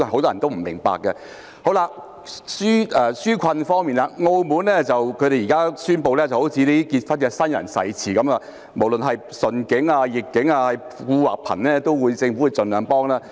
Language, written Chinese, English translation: Cantonese, 至於紓困方面，澳門現時宣布——好像新人的結婚誓詞一樣——無論順境或逆境，富或貧，政府都會盡量幫忙。, As regards relieving peoples burden Macao has now announced―like the wedding vows made by marrying couples―that for better for worse for richer for poorer the Government would do its best to help